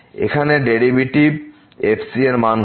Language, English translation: Bengali, Now, what is the derivative